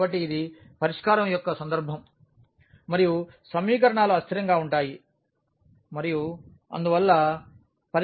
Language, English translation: Telugu, So, this is the case of no solution and the equations are inconsistent and hence the solution does not exist